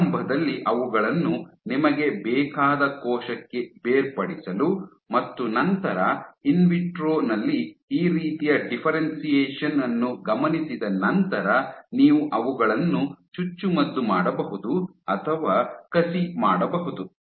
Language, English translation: Kannada, So, as to initially differentiate them to the type of cell you want and then once you have observed this kind of differentiation in vitro then you can inject them inject or transplant them